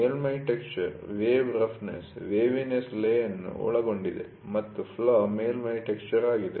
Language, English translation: Kannada, The surface texture encompasses wave roughness waviness lay and flaw is surface texture